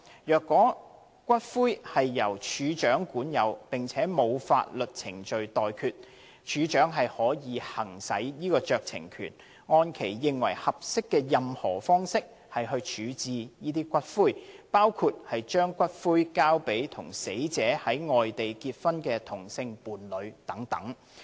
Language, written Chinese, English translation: Cantonese, 若骨灰由署長管有並且沒有法律程序待決，署長可行使酌情權，按其認為合適的任何方式處置該等骨灰，包括把骨灰交給與死者在外地結婚的同性伴侶等。, In the circumstances that the ashes are in the possession of DFEH and no legal proceedings are pending DFEH may by exercising her discretion hand the ashes to among others a same - sex partner married at a place outside Hong Kong as she deems appropriate